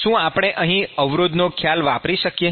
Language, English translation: Gujarati, So, can we use resistance concept here